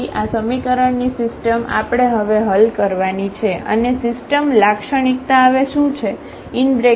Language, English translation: Gujarati, So, this system of equation we have to solve now and what is the system now A minus 1